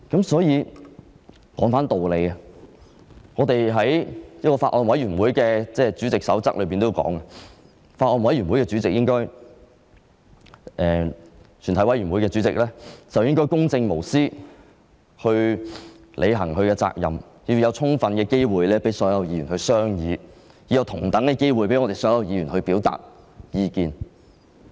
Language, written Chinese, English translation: Cantonese, 所以，把話說回到道理上去，在《法案委員會主席手冊》中提到，主席應公正無私地履行職責，並確保所有議員有充分機會商議，有同等的機會讓所有議員表達意見。, Returning to my argument about reason as mentioned in the Handbook for Chairmen of Bills Committees the Chairman should conduct himselfherself with impartiality in discharging hisher responsibilities . Heshe should ensure that members have adequate opportunities to take part in the deliberations of the Bills Committee and the Chairman should give each side an equal chance to express its views